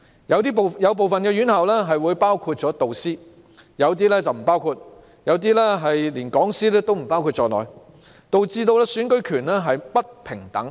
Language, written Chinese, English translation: Cantonese, 有部分院校包括導師，有些則不包括，甚至連講師也不包括在內，導致選舉權並不平等。, Some institutions include tutors while some do not and some even do not include lecturers; thus the rights to vote are not equal